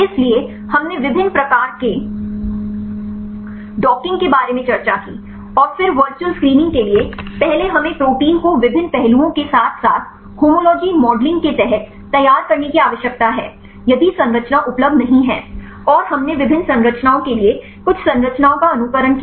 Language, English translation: Hindi, So, we discussed about the different types of docking, and then the virtual screening first we need to prepare the protein right under different aspects as well as the homology modeling if the structure is not available, and we simulated some structures for the various conformations